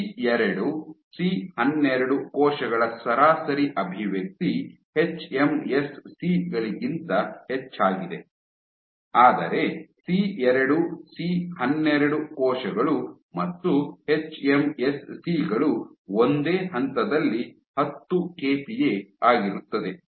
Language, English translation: Kannada, The average expression of C2C12 cells is higher than hMSCs, but both C2C12 cells and hMSCs exhibit the peak at the same point which is 10 kPa